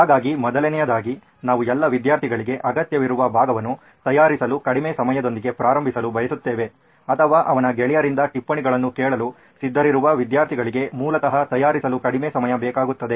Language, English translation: Kannada, So firstly we would like to start with the less time to prepare part where all the students required or students who would be willing to ask the notes from his peers, should require less time to prepare basically